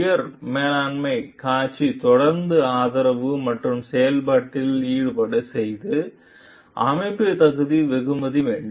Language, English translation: Tamil, Top management made display continuing support and involvement in the process, the organization must reward merit